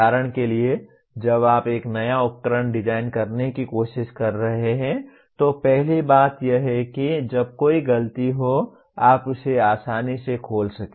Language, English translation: Hindi, For example when you are trying to design a new equipment, first thing is you should be able to readily open that when there is a fault